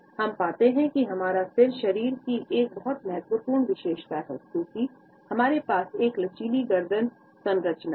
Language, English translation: Hindi, We find that our head is a very significant body feature, because we have a flexible neck structure